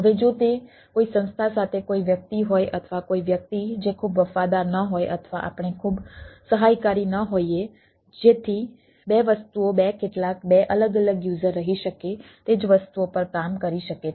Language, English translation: Gujarati, now, if it is your somebody ah with some organization or some person who is, who is not very faithful or we are not very comfortable, so that two things: two, some two different user can reside, ah can work on the same things